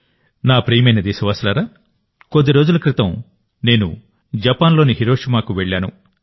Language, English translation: Telugu, My dear countrymen, just a few days ago I was in Hiroshima, Japan